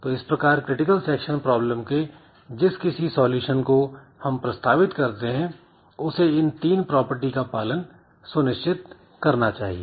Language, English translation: Hindi, So, any solution that you propose to the critical section problem it must satisfy these three conditions